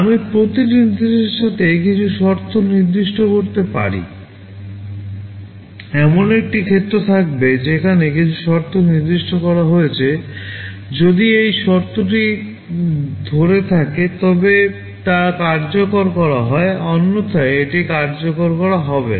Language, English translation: Bengali, I can specify some condition along with every instruction, there will be a field where some condition is specified; if this condition holds, then it is executed; otherwise it is not executed